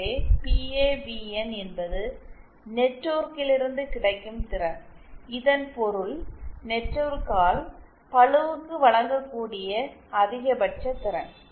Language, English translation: Tamil, So PAVN is the power available from the network it basically means the maximum power that can be supplied by the network to the load